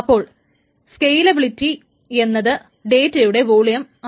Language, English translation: Malayalam, So the scalability is essentially the volume of data that it tries to handle